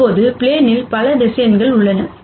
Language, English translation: Tamil, Now, there are many vectors on the plane